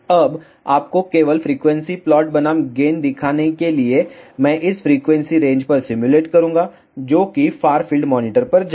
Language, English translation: Hindi, Now, just to show you the gain versus frequency plot I will simulate it over the frequency range go to far field monitor